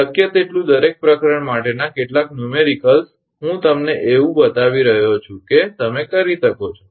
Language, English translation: Gujarati, Some numericals for every chapter as many as possible I am showing you such that you can